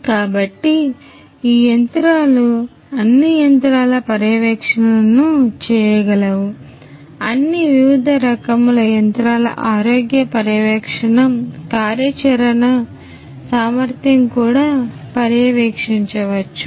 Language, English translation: Telugu, So, that these machines you can do the monitoring of all the machines the health monitoring of all the different machines the type of the operational efficiency also could be monitored